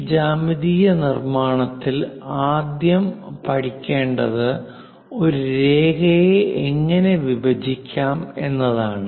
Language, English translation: Malayalam, In that geometric constructions, the first of all essential parts are how to bisect a line